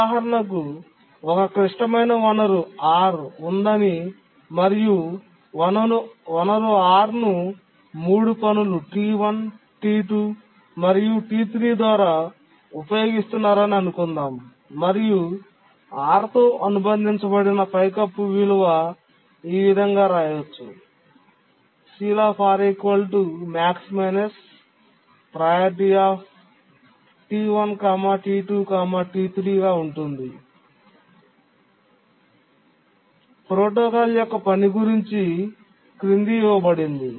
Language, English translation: Telugu, Let's assume that there is a critical resource R and the resource R is being used by three tasks, T1, T2 and T3, and there will be ceiling value associated with the R which is equal to the maximum of the priorities of T1, T2 and T3